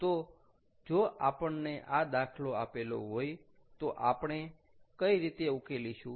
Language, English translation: Gujarati, so if we are given this problem, how do we solve